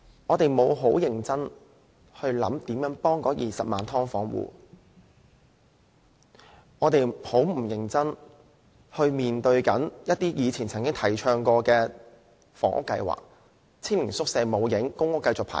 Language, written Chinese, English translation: Cantonese, 政府沒有認真考慮怎樣幫助20萬"劏房戶"，亦沒有認真面對以往提倡的房屋計劃，青年宿舍沒有做到，公屋亦需要繼續輪候。, The Government fails to seriously consider how to help the 200 000 subdivided unit occupants nor seriously consider past housing schemes . It has not taken forward YHS . People have to continue to wait for public rental housing